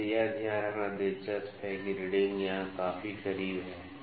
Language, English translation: Hindi, So, it is interesting to note that the readings are quite close here